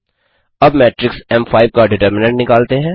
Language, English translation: Hindi, Now let us find out the determinant of a the matrix m5